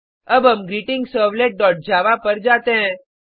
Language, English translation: Hindi, Let us see the GreetingServlet.java